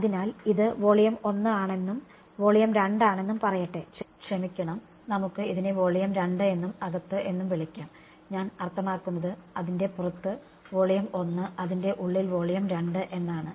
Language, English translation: Malayalam, So, let us say this is volume 1 and volume 2 sorry inside let us call it volume 2 and inside, I mean outside its volume 1, inside its volume 2